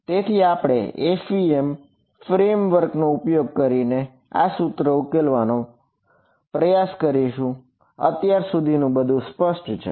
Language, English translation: Gujarati, So, when we will continue subsequently with trying to solve this equation using the FEM framework clear so far